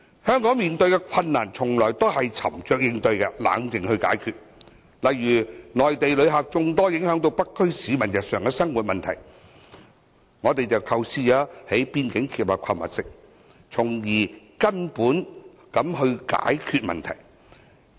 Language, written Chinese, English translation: Cantonese, 香港在面對困難的時候一直沉着應對，冷靜地解決，例如，內地旅客眾多影響到北區市民日常生活，我們便構思在邊境興建購物城，從根本解決問題。, Hong Kong has always been facing and resolving difficulties calmly . For example in view that a large number of Mainland visitors have affected the daily lives of people in the North District we have come up with the idea of building a shopping centre at the border to solve the problem at root